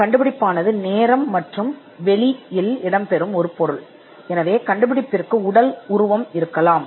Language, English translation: Tamil, The invention will exist in time and space, and an invention can have physical embodiments